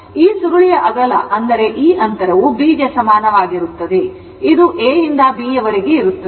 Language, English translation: Kannada, So, this breadth of this coil that means this distance is equal to B; that means, this A to B right